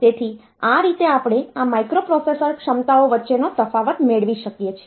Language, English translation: Gujarati, So, that way we can have the difference between these microprocessor capabilities